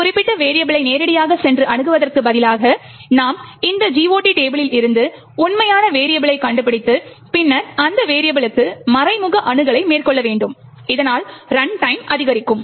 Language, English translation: Tamil, Instead of directly going and accessing a particular variable, now we need to find out the actual variable from the GOT table and then make an indirect access to that particular variable, thus resulting in increased runtime